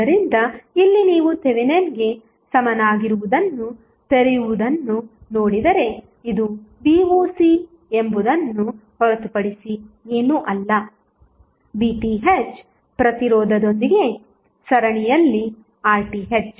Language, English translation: Kannada, So, here if you see the opens the equivalent of the Thevenin's equivalent, this would be Voc is nothing but Vth in series with resistance Rth